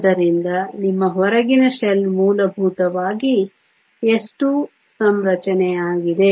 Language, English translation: Kannada, So, your outer shell is essentially and s 2 configuration